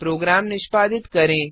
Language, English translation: Hindi, Execute as before